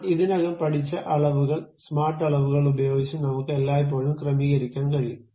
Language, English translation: Malayalam, Dimensions we have already learned, using smart dimensions I can always adjust this